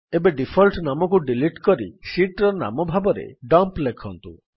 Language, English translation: Odia, Now delete the default name and write the new sheet name as Dump